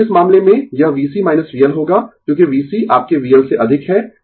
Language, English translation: Hindi, So, in this case it will be V C minus V L, because V C greater than your V L